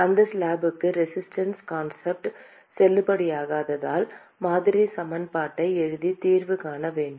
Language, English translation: Tamil, Because the resistance concept is not valid for that slab and therefore, we have to write the model equation and find the solution